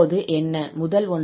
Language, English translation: Tamil, So in the first one we have minus i alpha t